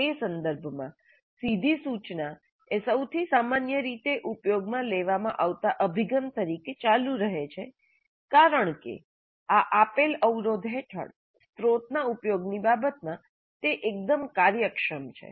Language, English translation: Gujarati, In that context, direct instruction continues to be the most commonly used approach because it is quite efficient in terms of resource utilization under these given constraints